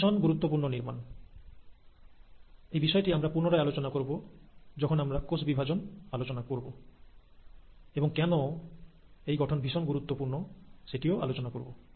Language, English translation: Bengali, Now this is a very important structure, we will refer this to, we’ll come back to this when we are talking about cell division and why it becomes very important